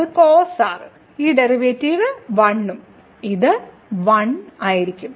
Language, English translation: Malayalam, So, that will be cos and this derivative 1 and limit goes to 0, so this will be 1